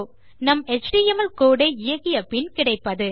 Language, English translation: Tamil, So you have got that after running our html code